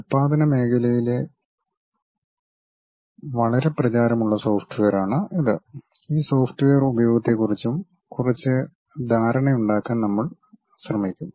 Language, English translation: Malayalam, This is a quite popular software in manufacturing sector, and we will try to have some idea about this software uses also